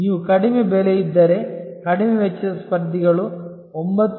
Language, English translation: Kannada, If you are lowest price a lowest cost competitors is 9